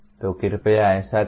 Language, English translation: Hindi, So please do that